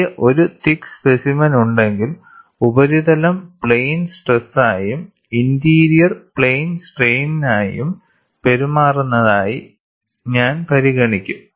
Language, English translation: Malayalam, If I have a thick specimen, I will consider the surface to behave like a plane stress and interior when you go, it behaves like a plane strain